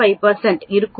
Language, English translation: Tamil, 5 that is 0